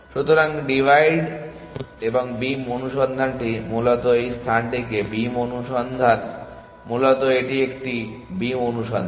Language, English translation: Bengali, So, the divide and the beam search is essentially beam search in this space, first of all it is a beam search